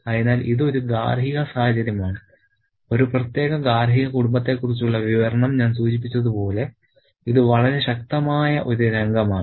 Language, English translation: Malayalam, So, this is a domestic situation, a description about a particular domestic family and this is a very, very calm scene as I just mentioned